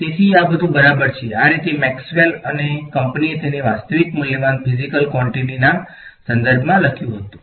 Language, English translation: Gujarati, So, this is all fine, this is how Maxwell and company had written it in terms of real valued physical quantities ok